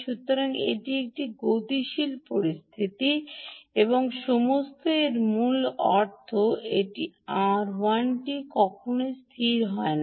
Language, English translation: Bengali, ok, so it is a dynamic situation and all of that essentially means this r l is never fixed